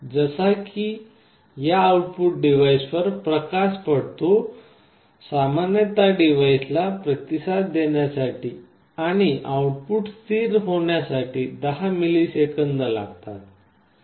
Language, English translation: Marathi, Like when light falls on these devices it typically takes of the order of tens of milliseconds for the device to respond and the output to settle down